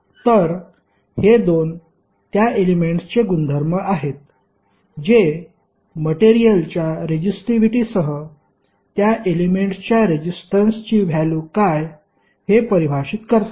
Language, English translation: Marathi, So, this 2 are the properties of that element with the resistivity of the material will define, what is the value of resistances of that element